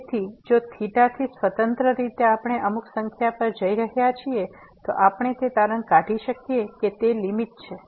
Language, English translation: Gujarati, So, if the independently of theta we are approaching to some number, we can conclude that that is the limit